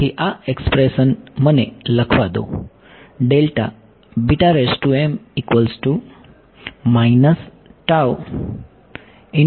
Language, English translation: Gujarati, So, this expression let me write it